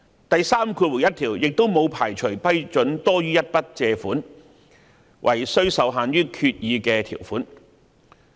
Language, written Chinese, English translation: Cantonese, 第31條亦沒有排除批准多於一筆借款，惟需受限於決議的條款。, Section 31 also does not preclude authorization for more than one single borrowing transaction subject to the terms of the Resolution